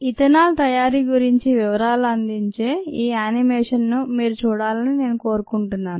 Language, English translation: Telugu, i would like you to look at ah, this animation which gives you details about ethanol making